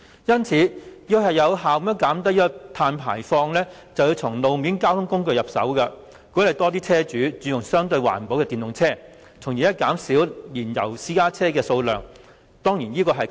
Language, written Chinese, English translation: Cantonese, 要有效減低碳排放，我們須從路面交通工具入手，其中一個可行的方向是鼓勵車主轉用相對環保的電動車，從而減少燃油私家車的數量。, The share is a pittance . To effectively reduce carbon emissions we have to first deal with road vehicles . One of the feasible directions is to encourage car owners to switch to the more environmental - friendly electric vehicles EVs so as to reduce the number of fuel - engined PCs